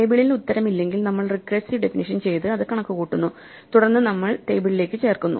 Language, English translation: Malayalam, If the table does not have an answer then we apply the recursive definition compute it, and then we add it to the table